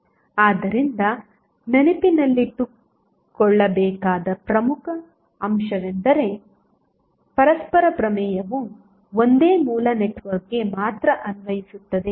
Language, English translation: Kannada, So, important factor to keep in mind is that the reciprocity theorem is applicable only to a single source network